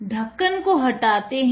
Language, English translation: Hindi, Close the lid